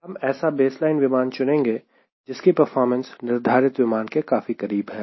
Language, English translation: Hindi, we try to select a baseline aircraft whose performance parameters are almost like whatever you are looking for